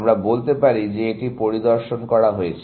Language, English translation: Bengali, We say that this has been inspected